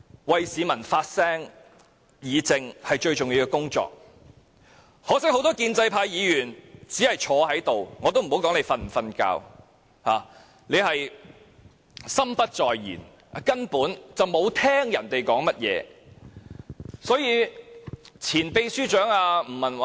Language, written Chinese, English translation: Cantonese, 為市民發聲和議政是議員最重要的工作，可惜很多建制派議員只是坐在這——我也不說他們是否在睡覺——心不在焉，根本沒有聆聽其他人說甚麼。, They will be carefree by then . To speak for the public and participate in public policy discussion is the most important task of Members but regrettably many pro - establishment Members just sit here―I will not say whether they are sleeping―absent - mindedly without listening to what others are saying